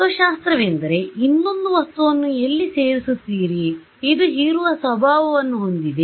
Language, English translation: Kannada, So, here the philosophy is that you add another material over here, which has an absorbing property ok